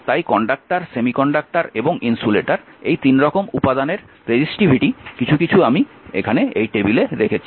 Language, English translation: Bengali, So, may conductor semiconductor and insulator and there resistivity something I have taken I have kept it here right